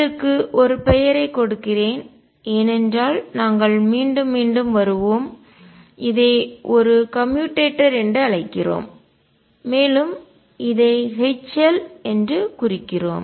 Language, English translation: Tamil, Let me give this a name because we will keep coming again and again we call this a commutator and denote it as this H L